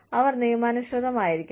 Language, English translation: Malayalam, They need to be legitimate